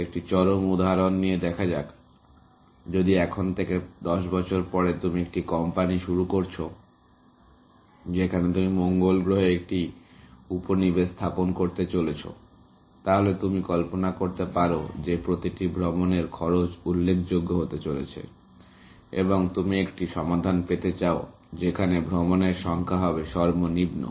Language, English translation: Bengali, To take an extreme example; if 10 years from now, you start a company in which you are setting up a colony on Mars, then you can imagine, that the cost of each trip is going to be significant, and you would like to have a solution in which, there are minimum number of trips, essentially